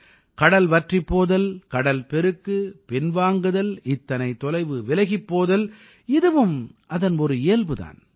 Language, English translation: Tamil, Advancing, receding, moving back, retreating so far away of the sea is also a feature of it